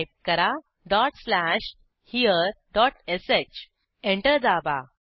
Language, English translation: Marathi, Type dot slash here dot sh Press Enter